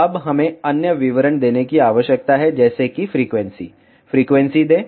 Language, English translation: Hindi, Now, we need to give other details like frequency give frequency